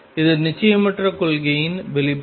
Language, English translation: Tamil, This is the manifestation of the uncertainty principle